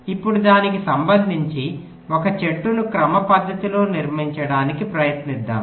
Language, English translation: Telugu, now, with respect to that, let us try to systematically construct a tree